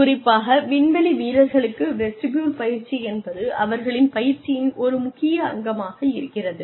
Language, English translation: Tamil, Especially for astronauts, vestibule training is an important component of their training